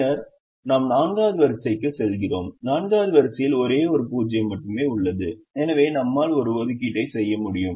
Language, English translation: Tamil, then we go to the fourth row and the fourth row has only one zero and therefore we can make an assignment